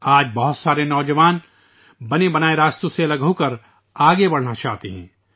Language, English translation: Urdu, Today many young people want to move ahead by breaking away from the ofttreaded paths